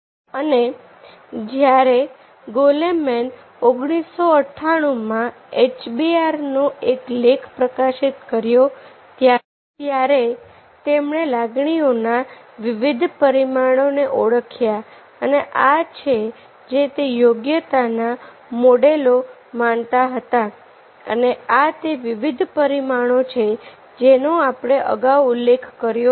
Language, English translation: Gujarati, and when goleman he published is an article in hbr nineteen ninety eight, he identified the different dimensions of emotions and these are, these are the he believed in competency model and these are the different dimensions that we mentioned earlier